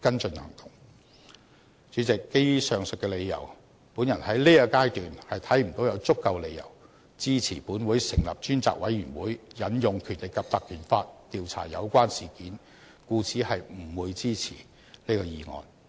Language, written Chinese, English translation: Cantonese, 主席，基於上述理由，我在現階段看不到有足夠理由支持本會成立專責委員會引用《條例》調查有關事件，故此不會支持這議案。, President based on the above mentioned reasons at this stage I do not see sufficient justifications to support setting up a select committee by this Council to investigate the incident concerned through invoking the Ordinance . Therefore I will not support this motion